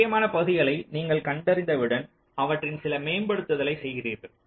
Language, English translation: Tamil, then once you identify the critical portions, to carry out certain optimization on those